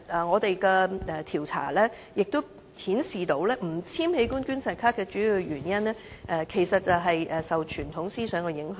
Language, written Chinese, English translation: Cantonese, 我們的調查亦顯示，不簽署器官捐贈卡的主要原因，其實是受傳統思想影響。, Our survey finds that the major reason of the respondents for not signing organ donation cards is the influence of traditional thinking